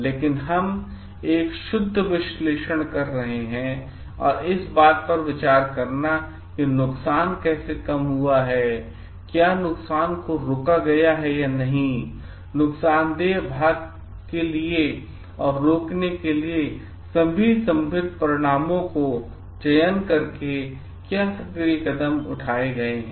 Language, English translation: Hindi, But we are doing a net analysis taking into consideration like how the harm has minimized, whether harm has been arrested or not, what proactive steps we have taken to arrest for the harm part and giving a fair chance of selection to all the possible outcomes